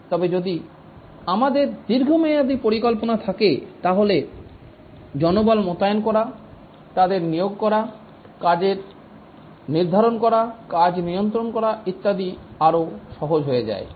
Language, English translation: Bengali, And also if we have a long term plan, then it becomes easier to deploy manpower, recruit them, schedule work, monitor and so on